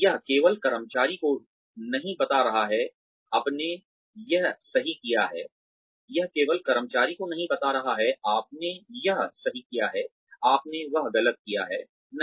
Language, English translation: Hindi, It is not only telling the employee, you did this right, you did that wrong, no